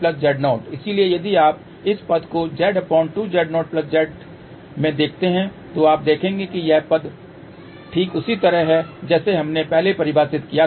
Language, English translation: Hindi, So, if you look into this term here Z divided by 2 Z 0 plus Z you will see that this term is exactly same as we had defined earlier